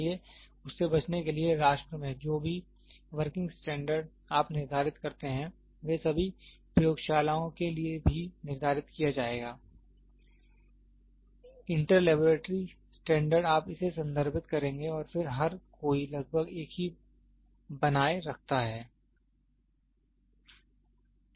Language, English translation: Hindi, So, in order to avoid it what we do is, the working standard whatever you set in the nation will also be set to all the labs, inter laboratory standards you will refer it and then everybody maintains almost the same